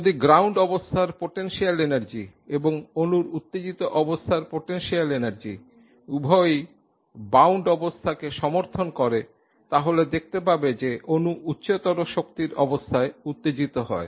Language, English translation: Bengali, If the potential energy of the ground state of the molecule and the potential energy of the excited state of the molecule both support bound states